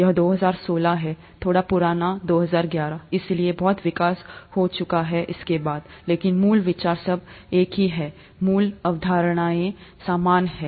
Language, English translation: Hindi, This is 2016, a slightly old 2011, so there’s a lot of development that has taken place after that, but the basic idea is all the same, the basic concepts are all the same